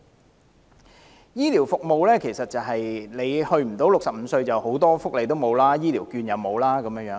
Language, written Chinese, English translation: Cantonese, 關於醫療服務，如果未滿65歲，很多福利如醫療券也不能享有。, Regarding health care services there are many welfare benefits to which people under 65 are not entitled such as the Health Care Voucher